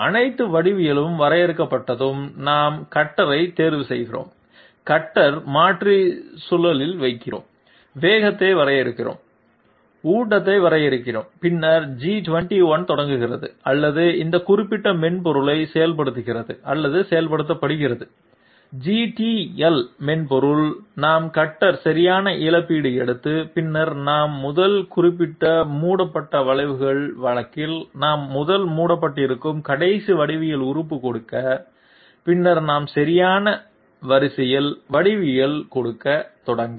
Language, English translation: Tamil, Once the all the dimensions I mean all the geometry is define, we chose the cutter, we change the cutter and put it in on the spindle, we define the speed and we define the feed then G21 starts or invokes or activates this particular software GTL software, we declare that we are taking cutter right compensation and then we mention the first last geometry elements to be covered, in case of closed curves we give the last geometry element to be covered first and then we start giving the geometry in proper sequence